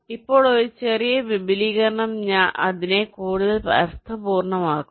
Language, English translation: Malayalam, right now, a slight extension makes it more meaningful